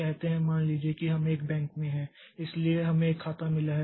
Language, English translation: Hindi, Say, suppose we have got in a bank, so we have got an account A